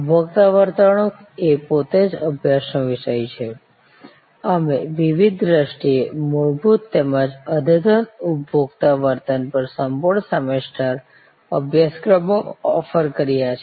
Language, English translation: Gujarati, Consumer behavior is a subject of study by itself, we offered full semester courses on different sight consumer behavior basic as well as consumer behavior advanced